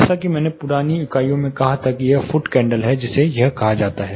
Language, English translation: Hindi, As I said in older units it is foot candle it uses to be called as